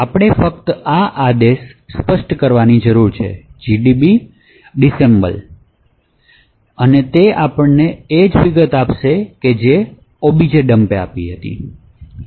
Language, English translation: Gujarati, So all we need to do is specify this command called disassemble and it would give us the exact same details